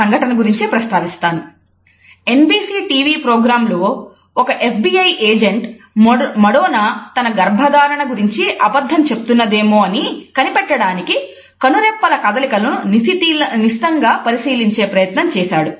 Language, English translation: Telugu, I would refer to a very interesting incident here where one FBI agent tried to analyze the eyelid fluttering of Madonna to see whether she was lying about her pregnancy on NBC television program